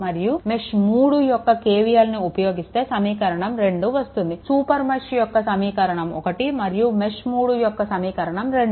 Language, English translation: Telugu, And for, if you for mesh 3, you apply KVL again this is your equation, this is for mesh super mesh 1, the equation 1; and for mesh 3 equation 2